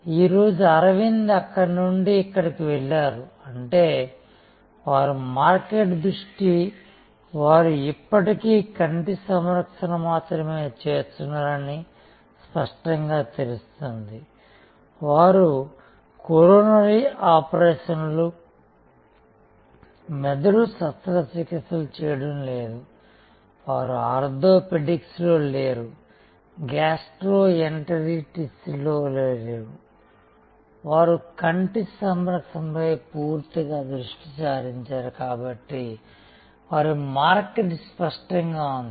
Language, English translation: Telugu, Today, Aravind has moved from there to here; that means, their market focus is clear they are still doing eye care only, they are not into coronary operations, they are not into brains surgery, they are not into orthopedics, they are not into gastroenteritis they are fully focused on eye care, so their market is clear